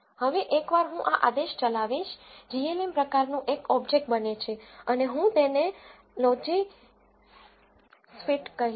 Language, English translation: Gujarati, Now, once I run this command an object of the type glm is created and I call it logis t